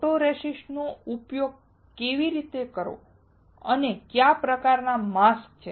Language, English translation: Gujarati, How to use a photoresist and what kind of masks are there